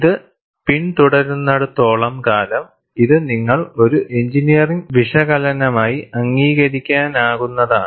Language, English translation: Malayalam, As long as it follows, you are happy to accept this as an engineering analysis